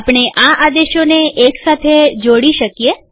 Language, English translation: Gujarati, We can combine these commands